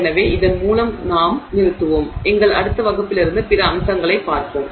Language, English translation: Tamil, So, with this we will halt, we will look at other aspects from our next class